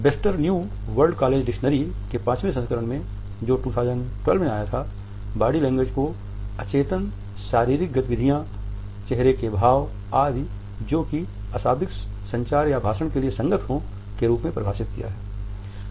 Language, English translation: Hindi, Webster’s New World College Dictionary in it is Fifth Edition, which came out in 2012 defines it as “gestures unconscious bodily movements facial expressions etcetera, which service nonverbal communication or as accompaniments to a speech”